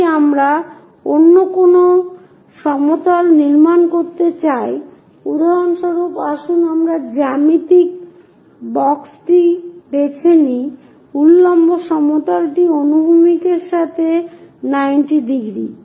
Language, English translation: Bengali, If we want to construct any other plane, for example, let us pick the geometry box vertical plane is 90 degrees with the horizontal